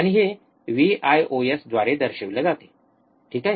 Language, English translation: Marathi, And it is denoted by Vios, alright